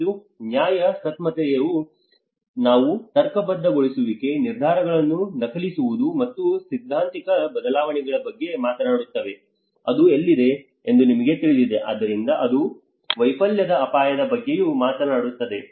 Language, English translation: Kannada, And legitimation that is where we talk about rationalisation, decision faking, and ideological shifts you know this is where, so that is how it talks about the risk of failure as well